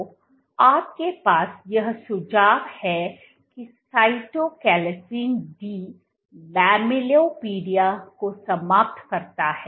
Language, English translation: Hindi, So, what you have this suggest that Cytochalasin D eliminates the lamellipodia